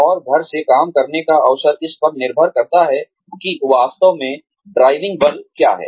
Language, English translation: Hindi, And, the opportunity to work from home, depending on, what is really the driving force